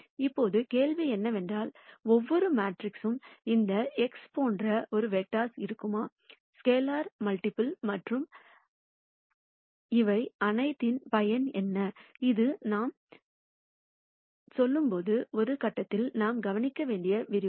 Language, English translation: Tamil, Now the question is, for every matrix A, would there be A vectors like this x and what would be the scalar multiple and what is the use of all of this, is something that we should also address at some point as we go through this lecture